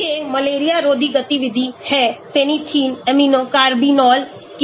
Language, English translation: Hindi, These are anti malarial activity of phenanthrene amino carbinols